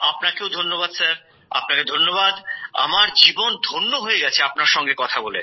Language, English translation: Bengali, Thank you sir, Thank you sir, my life feels blessed, talking to you